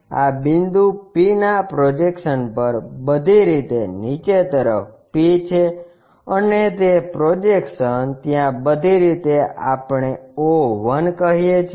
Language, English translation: Gujarati, On the projection of this point P, all the way down is P and that projection all the way there we call o1